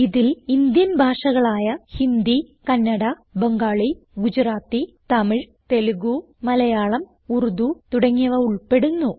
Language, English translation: Malayalam, This includes most widely spoken Indian languages including Hindi, Kannada, Bengali, Gujarati, Tamil, Telugu, Malayalam, Urdu etc